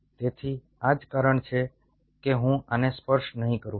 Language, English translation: Gujarati, so thats the reason why i wont touch this